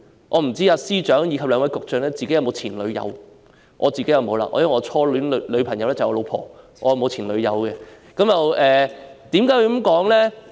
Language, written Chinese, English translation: Cantonese, 我不知司長及兩位局長有否前度女友，我是沒有的，因為我的初戀女友就是我的太太。, I wonder if the Chief Secretary for Administration and the two Directors of Bureaux have an ex - girlfriend . I do not and my wife is my first love